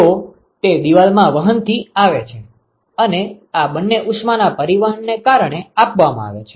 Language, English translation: Gujarati, So, that comes from the conduction in the wall and these two comes because of convection given heat transport